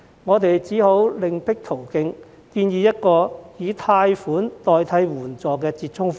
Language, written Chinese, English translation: Cantonese, 我們只好另闢途徑，建議一個以貸款代替援助的折衷方案。, We therefore have to put forward an alternative plan to offer loans instead of an unemployment assistance fund as a compromise